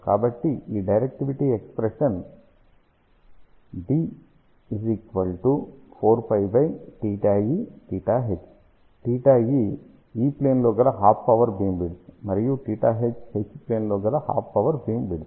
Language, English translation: Telugu, What is theta E, theta E is the half power beamwidth in the E plane; and theta h is half power beamwidth in the H plane